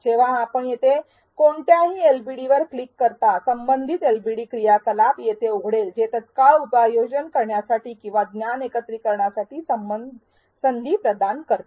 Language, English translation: Marathi, When you click on any one of these LbDs here, the respective LbD activity will open here which provides an opportunity for immediate application or integration of knowledge